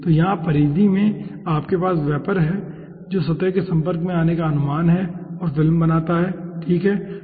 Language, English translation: Hindi, so here in the periphery you are having ah vapor which is suppose to come in contact with the surface and form film